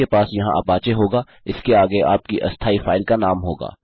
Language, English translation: Hindi, Youll have apache here followed by your temporary file name